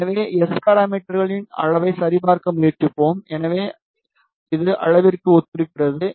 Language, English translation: Tamil, So, we are trying to check the magnitude of S parameters so it is a corresponds to magnitude